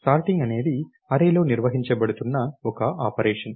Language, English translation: Telugu, Sorting is an operation, that is being performed on the array